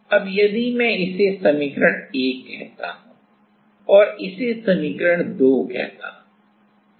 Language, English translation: Hindi, Now, if I now, let us put this expression in the let us call it equation 1 and let us call it equation 2